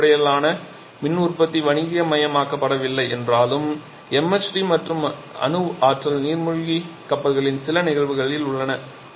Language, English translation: Tamil, So, though MHD based power generation has not been commercialized yet there are certain instances of MHD and nuclear power submarines etcetera